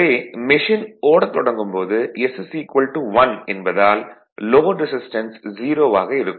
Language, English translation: Tamil, So, at the time of starting now S is equal to 1 the load resistance is 0